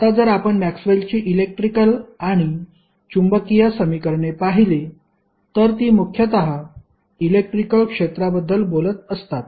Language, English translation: Marathi, Now, the if you see the electricity and magnetism equations of Maxwell they are mostly talking about the electric field